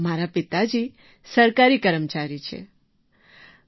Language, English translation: Gujarati, My father is a government employee, sir